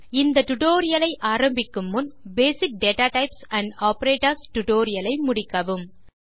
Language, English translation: Tamil, Before beginning this tutorial,we would suggest you to complete the tutorial on Basic datatypes and operators